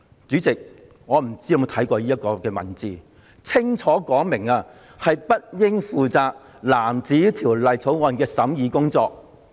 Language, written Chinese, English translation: Cantonese, "主席，我不知道你有否看過這段文字，這裏清楚說明了政策事宜小組不應負責藍紙條例草案的審議工作。, President I wonder if you have read this paragraph . It has clearly stated that panels on policy issues should not be responsible for the scrutiny of blue bills